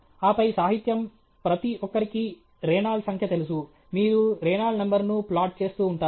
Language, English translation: Telugu, And then, literature, everybody knows Reynold’s number, you keep plotting Reynold’s number